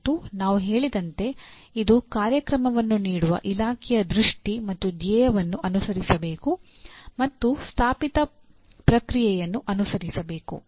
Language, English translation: Kannada, And as we said must follow from the vision and mission of the department offering the program and follow an established process